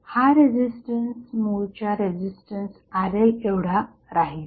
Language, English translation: Marathi, So, the resistance will be intact the original resistance Rl